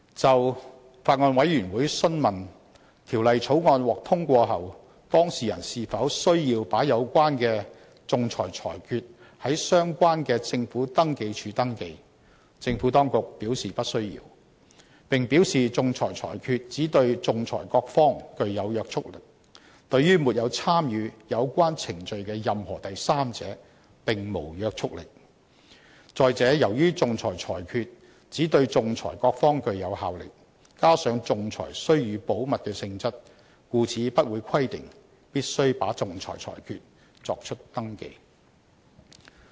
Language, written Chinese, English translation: Cantonese, 就法案委員會詢問，《條例草案》獲通過後，當事人是否需要把有關的仲裁裁決在相關的政府登記處登記，政府當局表示不需要，並表示仲裁裁決只對仲裁各方具有約束力，對於沒有參與有關程序的任何第三者，並無約束力；再者，由於仲裁裁決只對仲裁各方具有效力，加上仲裁須予保密的性質，故此不會規定必須把仲裁裁決作出登記。, The Bills Committee has asked whether after passage of the Bill the parties would be required to register their arbitral awards under the relevant registry of the Government . The Administration has advised in the negative and said that arbitral awards would only bind the parties to the arbitration but not any other third parties who did not participate in the proceedings and that owing to the inter partes effect of an arbitral award and the confidential nature of arbitration there would not be any requirement as to the registration of arbitral awards